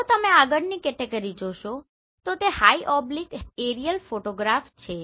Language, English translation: Gujarati, If you see the next category that is the high oblique aerial photograph